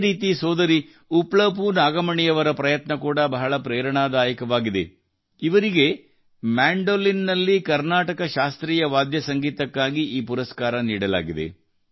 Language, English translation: Kannada, Similarly, the efforts of sister Uppalpu Nagmani ji are also very inspiring, who has been awarded in the category of Carnatic Instrumental on the Mandolin